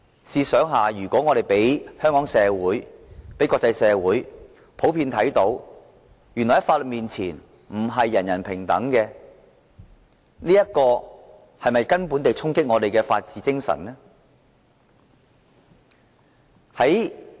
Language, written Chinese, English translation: Cantonese, 試想，如果我們讓香港社會和國際社會看到，在法律面前並非人人平等，這不是根本地衝擊我們的法治精神嗎？, Just think if we give the Hong Kong community and the international community the impression that not everyone is equal before the law is this not a fundamental challenge to the spirit of the rule of law in our society?